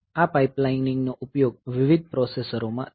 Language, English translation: Gujarati, So, this pipelining is used in different processors